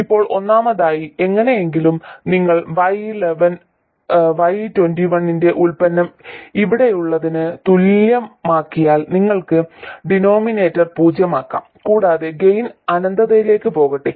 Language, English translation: Malayalam, Now, first of all, you can see that somehow if you make the product of Y12 and Y2 equal to this whatever you have here, you could even make the denominator 0 and let the gain go to infinity